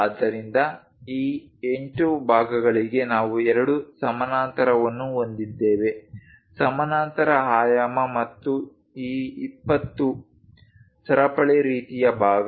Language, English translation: Kannada, So, we have both the parallel for these 8 parts; parallel dimensioning and for this 20, chain kind of part